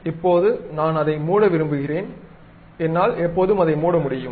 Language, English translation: Tamil, Now, I would like to close it; I can always close it